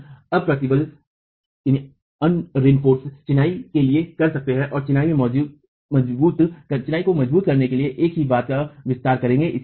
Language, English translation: Hindi, We could have that done for unreinforced masonry and extend the same thing to reinforce masonry as well